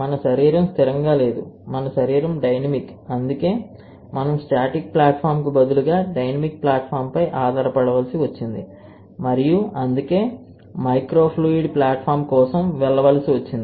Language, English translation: Telugu, Our body is not static, our body is dynamic, and that is why we had to rely on a dynamic platform instead of static platform and that is why we had to go for a microfluidic platform